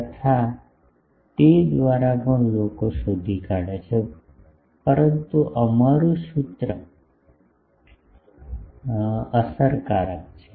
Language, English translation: Gujarati, So, by that also people find out, but our that formula is effective